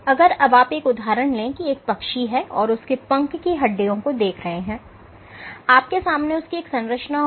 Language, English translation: Hindi, If you take the example of a bird and you look at its wing bones, you would have a structure where which is